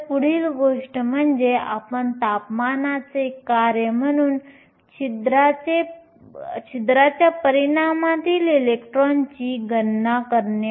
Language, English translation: Marathi, So, the next thing we will do is to calculate the electron in hole concentration as a function of temperature